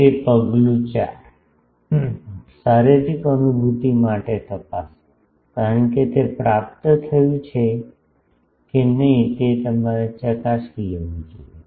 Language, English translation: Gujarati, That step 4 is check for physical realizability, because whether that is achieved that you can you should check